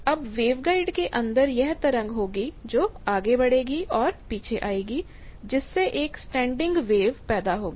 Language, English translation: Hindi, Now inside the wave guides there will be this wave is go and it comes back, there is a standing wave created